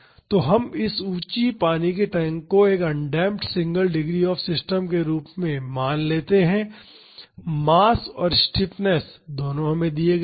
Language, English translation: Hindi, So, we can treat this elevated water tank as an undamped single degree of freedom system, the mass is given the stiffness is also given